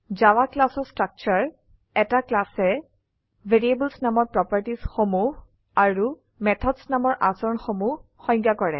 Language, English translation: Assamese, Structure of a Java Class A class defines: A set of properties called variables And A set of behaviors called methods